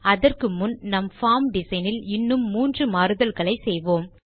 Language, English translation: Tamil, Before doing this, let us make just three more modifications to our form design